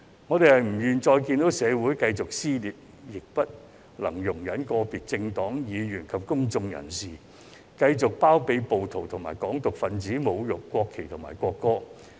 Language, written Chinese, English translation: Cantonese, 我們不願再看到社會繼續撕裂，亦不能容忍個別政黨議員及公眾人士繼續包庇暴徒及"港獨"分子侮辱國旗和國歌。, We do not wish to see the continued dissension in society and cannot tolerate Members of individual political parties and members of the public to continue to condone insults to the national flag and national anthem by rioters and Hong Kong independence advocates